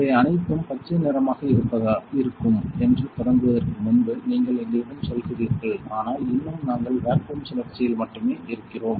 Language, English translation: Tamil, So, you are telling us that before we start all these will be green so, but still, we are in the vacuum cycle only